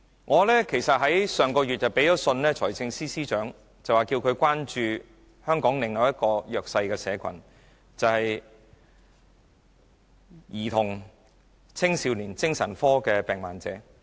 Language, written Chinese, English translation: Cantonese, 我曾於上月去信財政司司長，要求他關注本港另一個弱勢社群，就是青少年精神病患者。, I wrote to the Financial Secretary last month asking him to show concern for another disadvantaged group and that is adolescents with mental illness